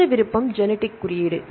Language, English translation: Tamil, Then another option is the genetic code